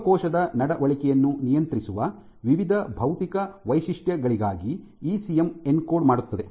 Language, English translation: Kannada, And ECM encodes for various physical features that regulate cell behavior